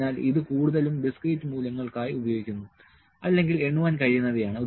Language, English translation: Malayalam, So, it is used more for discrete values or can be counted